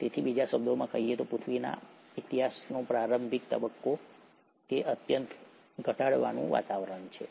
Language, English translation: Gujarati, So in other words, the initial phase of earth’s history, it had a highly reducing environment